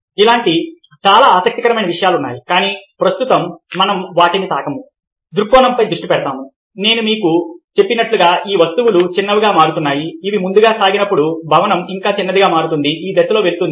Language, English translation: Telugu, there are many such interesting things, but right now we will not touch upon those, will focus on perspective, as i told you, these objects becoming smaller as they go [for/forward] forward, the building becoming still smaller as they go in this direction